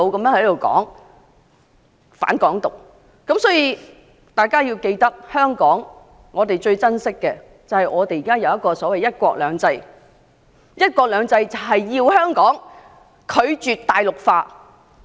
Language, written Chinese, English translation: Cantonese, 大家必須謹記，香港最寶貴的是現時的"一國兩制"。"一國兩制"的精神，便是香港拒絕大陸化。, All of us must remember that one country two systems is the most precious asset of Hong Kong at the moment and the spirit of one country two systems is to reject Mainlandization